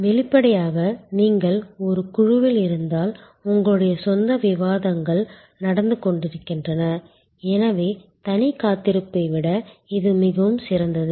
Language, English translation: Tamil, Obviously, if you are in a group, you have your own discussions going on, so it is much better than a solo wait